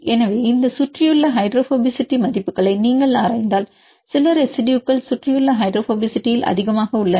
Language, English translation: Tamil, So, if you look into this surrounding hydrophobicity values some residues are high in surrounding hydrophobicity and some of them are less